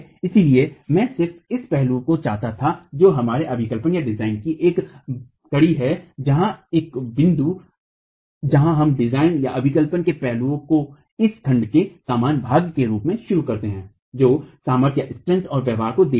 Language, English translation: Hindi, So, I just wanted this aspect which is a link to our design where a point where we start aspects of design to be the concluding portion of this section that looks at strength and behavior